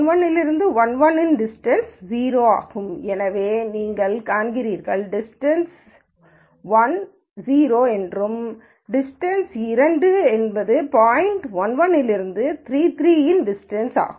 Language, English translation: Tamil, So, you see that distance one is 0 and distance two is the distance of the point 1 1 from 3 3